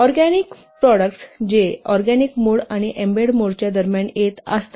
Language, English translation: Marathi, So, these products somewhere lie in between organic and embedded